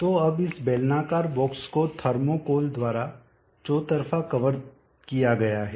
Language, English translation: Hindi, So now this cylindrical box is covered all round by thermocol let us say